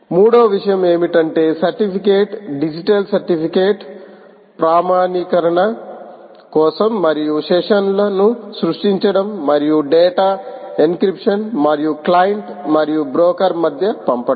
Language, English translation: Telugu, third thing is: use huge certificates, digital certificates, both for authentication as well as for creating sessions and ensuring that data is encrypted and send between the client and the broker